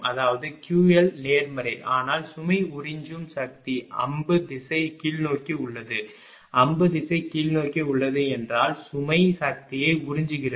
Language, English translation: Tamil, I mean Q L is positive, but look the load is absorbing power arrow direction is downward, arrow direction is downward mean the load is absorbing power